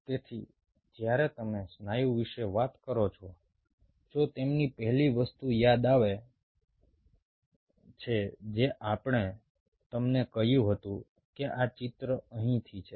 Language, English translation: Gujarati, so when you talk about muscle, if you remember, the first thing, what we told you is: this is the picture right out here